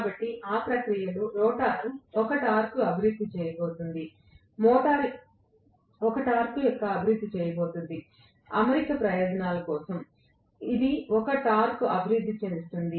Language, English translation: Telugu, So, in the process the rotor is going to develop a torque, the motor is going to develop a torque, for the alignment purposes it will develop a torque